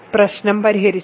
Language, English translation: Malayalam, So, the problem is solved